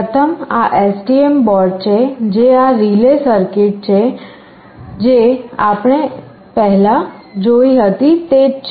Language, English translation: Gujarati, First this is the STM board, and this is relay circuit that is the same as we had seen earlier